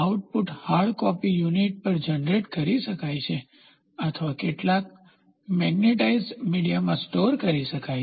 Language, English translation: Gujarati, The output can be generated on a hard copy unit or stored in some magnetized media